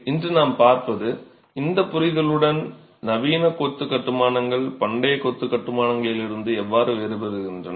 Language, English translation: Tamil, So, what we will look at today is with this understanding how do modern masonry constructions differ from ancient masonry constructions